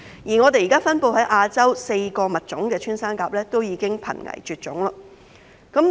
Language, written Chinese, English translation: Cantonese, 現時分布在亞洲的4個穿山甲物種，均已瀕危絕種。, All four pangolin species currently found in Asia are already threatened with extinction